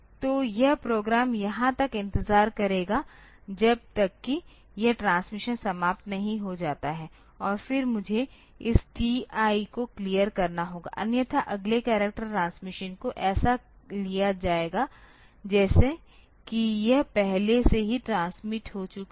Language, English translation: Hindi, So, it is the program will be waiting here till this transmission is over, and then I have to clear this TI, otherwise the next character transmission it will be taken as if it has already been transmitted